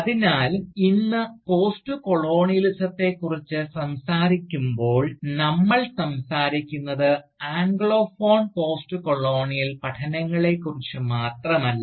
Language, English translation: Malayalam, So, when we talk about Postcolonialism today, we talk not just of Anglophone Postcolonial studies, but we simultaneously talk about Francophone Postcolonial studies for instance, or Lusophone Postcolonial studies